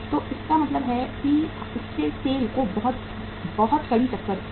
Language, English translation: Hindi, So it means it gave a very stiff competition to the SAIL